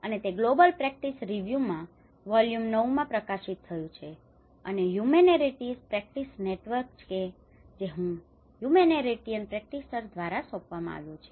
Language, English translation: Gujarati, And it is published in the global practice review in volume 9 and Humanitarian Practice Network which has been commissioned by the humanitarian practitioner